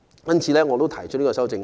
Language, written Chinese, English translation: Cantonese, 因此，我提出這項修正案。, Consequently I have proposed an amendment in this connection